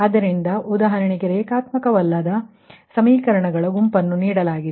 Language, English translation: Kannada, so for example, you take given a set of non linear equations